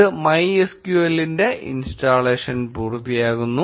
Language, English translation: Malayalam, This finishes off the installation of MySQL